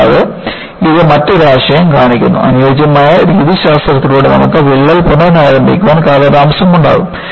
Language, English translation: Malayalam, And, this shows another concept, by suitable methodologies, you are in a position to delay the crack re initiation